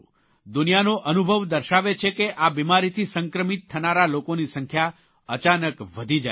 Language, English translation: Gujarati, The world's experience tells us that in this illness, the number of patients infected with it suddenly grows exponentially